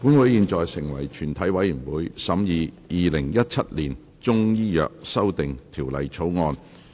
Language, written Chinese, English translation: Cantonese, 本會現在成為全體委員會，審議《2017年中醫藥條例草案》。, Council now becomes committee of the whole Council to consider the Chinese Medicine Amendment Bill 2017